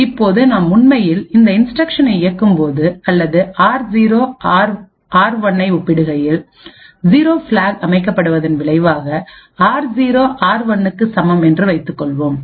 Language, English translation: Tamil, Now when we actually execute this instruction or compare r0, r1 and let us assume that r0 is equal to r1 as a result the 0 flag is set